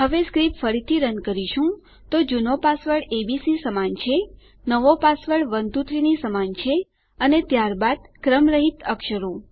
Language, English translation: Gujarati, What we can do now is, run the script again, so old password equals abc, new password equals 123 and then random letters